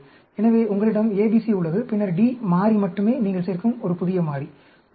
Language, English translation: Tamil, So, ABC, you have, and then, D variable alone is a new variable you are adding, actually